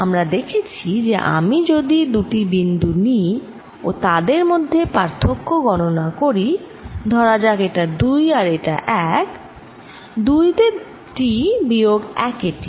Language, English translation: Bengali, that if i take two points and calculate the difference, let's say this is two, this is one t at two minus t at one